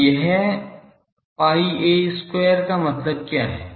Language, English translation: Hindi, Now, what is it pi a square means what